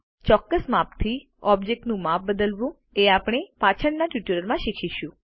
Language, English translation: Gujarati, We will learn to exactly re size objects in later tutorials